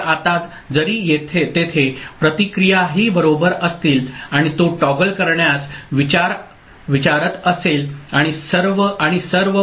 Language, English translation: Marathi, So, now, even if the feedback is there right and it is asking for to toggle and all